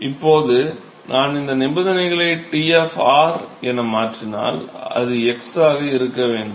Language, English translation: Tamil, So, now, if I substitute these boundary conditions T of r, x that should be